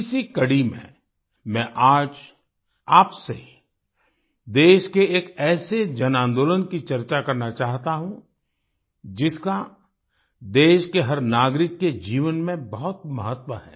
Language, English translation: Hindi, In this episode, I want to discuss with you today one such mass movement of the country, that holds great importance in the life of every citizen of the country